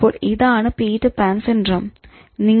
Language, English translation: Malayalam, So that is considered to be Peter Pan's syndrome